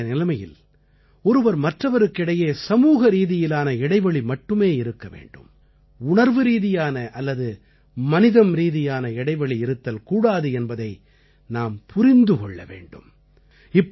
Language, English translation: Tamil, We need to understand that in the current circumstances, we need to ensure social distance, not human or emotional distance